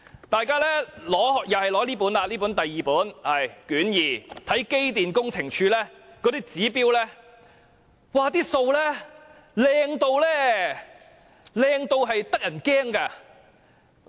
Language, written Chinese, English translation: Cantonese, 大家打開卷二，看看機電工程署的指標，他們的數字很漂亮，漂亮得令人感到可怕。, Let us refer to Volume 2 and take a look at the targets of the Electrical and Mechanical Services Department EMSD . Their statistics are so awesome that they are almost frightening